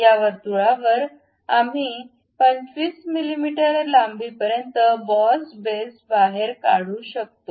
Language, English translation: Marathi, On this circle we can extrude boss base up to 25 mm length